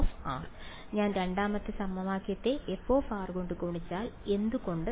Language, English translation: Malayalam, If I multiply the second equation by f of r why